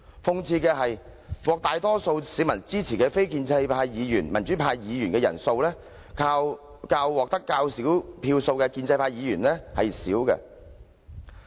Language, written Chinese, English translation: Cantonese, 諷刺的是，獲大多數市民支持的非建制派或民主派議員的人數，較獲得較少票數的建制派議員少。, Ironically the number of non - establishment or pro - democracy Members who are supported by a majority of people is less than the number of pro - establishment Members who got fewer votes